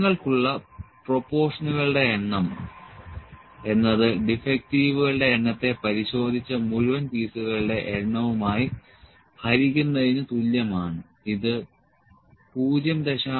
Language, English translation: Malayalam, So, number of proportion you have directly would be this is equal to the number of defectives divided by the total number of pieces those are inspected this is 0